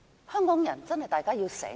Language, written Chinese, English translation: Cantonese, 香港人真的要醒來。, The people of Hong Kong must wake up